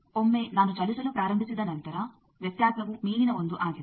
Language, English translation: Kannada, Once I start moving the variation is the upper 1